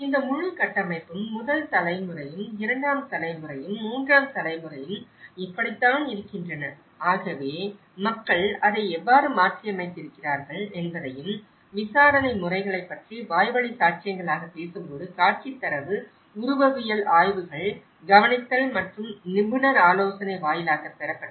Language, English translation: Tamil, And that is how this whole framework, the first generation, second generation and the third generation, so we looked at the whole sequence of time how people have adapted to it and when we talk about the methods of inquiry as oral testimonies, the visual data, the morphological studies, observation and expert advice